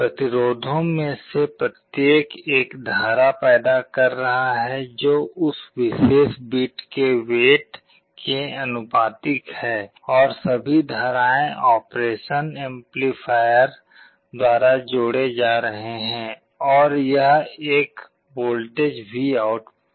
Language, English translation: Hindi, Each of the resistances is generating a current that is proportional to the weight of that particular bit and all the currents are added up by the operation amplifier, and it is converted into a voltage VOUT